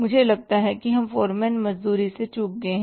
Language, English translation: Hindi, I think we have missed out the foreman wages, right